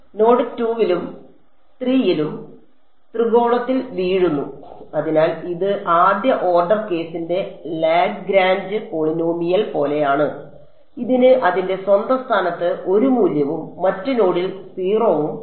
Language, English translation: Malayalam, At node 2 and 3 0 at the triangle fall flat; so, this is like that Lagrange polynomial of the first order case, it has its value 1 at its own location and 0 at the other node